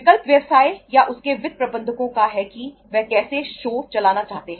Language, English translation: Hindi, Choice is of the business or its finance managers how he wants to run the show